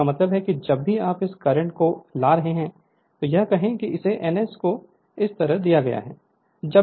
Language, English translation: Hindi, So that means, that means whenever this the when you are bringing this conductor say bringing this it is given N S, N S like this